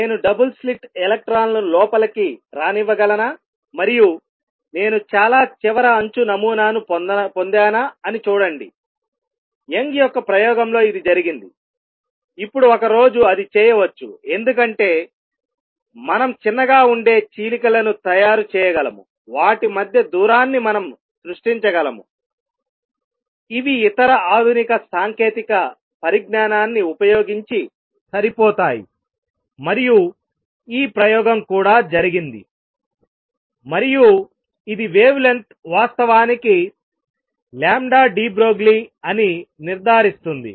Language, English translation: Telugu, So, can I do a Young’s double slit experiment for electrons also can I prepare double slit let electrons come in, and see if I obtain a fringe pattern at the far end is like in Young’s experiment it was done, and now a days it can be done because we can make slits which are small enough we can create distance between them which are a small enough using other modern technology, and this experiment has also been done and that conforms that the wavelength indeed is lambda de Broglie